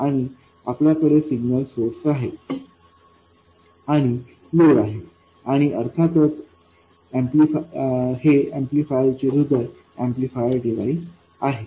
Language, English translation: Marathi, And this is of course the heart of the amplifier, this is the amplifier device